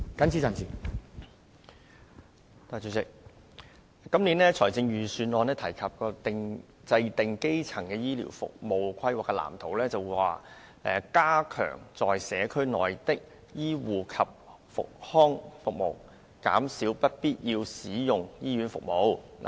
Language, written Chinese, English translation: Cantonese, 主席，今年的財政預算案提及政府會就基層醫療服務規劃制訂藍圖，"加強在社區內的醫護及復康服務，減少不必要使用醫院服務"。, President the Financial Secretary mentioned in this years Budget that the Government will draw up a blueprint for the planning on primary health care services to enhance provision of community health care services thereby reducing unwarranted use of hospital services